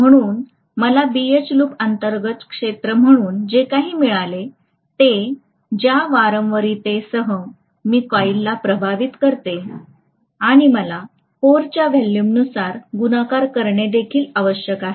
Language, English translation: Marathi, So whatever I get as the area under BH loop, I have to multiply that by the frequency with which I am exciting the coil and also I have to multiply that by the volume of the core